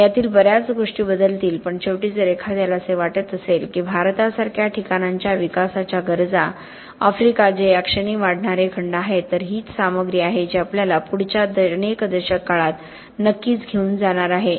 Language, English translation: Marathi, And many of these things will change but ultimately if one thinks that the developmental needs of places like India, of Africa which are the continents that are rising at the moment, this is the material that is going to have to take us through the next certainly several decades